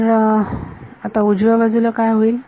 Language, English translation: Marathi, So, now, what happens to the right hand side